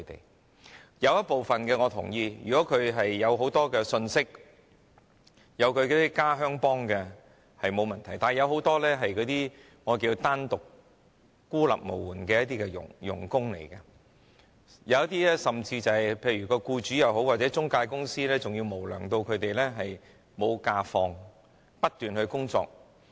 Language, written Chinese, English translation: Cantonese, 我認同有部分外傭能夠取得很多信息，有很多同鄉幫忙，但有很多傭工是單獨和孤立無援的，有些無良僱主或中介公司甚至不讓他們放假，要他們不停工作。, I agree that some foreign domestic helpers can access a lot of information and have the assistance of many compatriots from their countries but many foreign domestic helpers are struggling on their own and have only themselves to count on . Some unscrupulous employers or intermediaries even do not let them take leave and make them work on all days